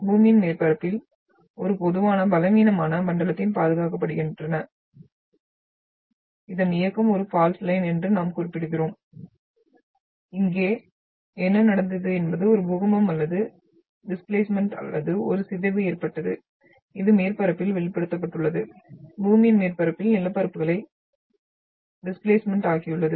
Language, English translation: Tamil, So the movement which has been which gets preserved on the earth’s surface along a typical weak zone which we term as a fault line and here what has happened is that there was an earthquake or a displacement or a deformation which has been manifested along the surface, has displaced the landforms over the over the surface, earth’s surface